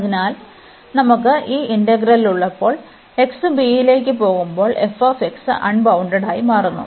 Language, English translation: Malayalam, So, for the case when we have this integral, where f x becomes unbounded as x goes to b